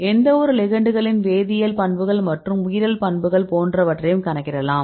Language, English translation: Tamil, So, you can see intrinsic properties of any ligand chemical properties and the biological properties right